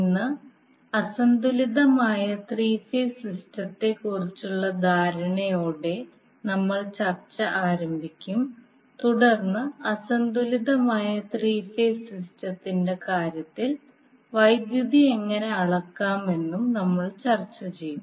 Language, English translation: Malayalam, Today we will start our discussion with the understanding about the unbalanced three phase system and then we will also discuss how to measure the power in case of unbalanced three phase system